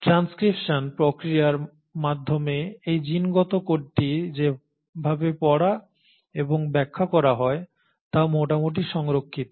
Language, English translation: Bengali, The way in which this genetic code is deciphered or read and interpreted is done through the mechanism of transcription is fairly conserved